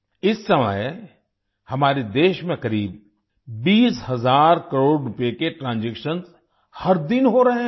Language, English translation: Hindi, At present, transactions worth about 20 thousand crore rupees are taking place in our country every day